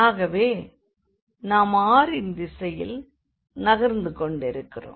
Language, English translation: Tamil, So, we are moving in the direction of r